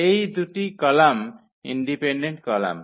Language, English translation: Bengali, So, these two columns are dependent columns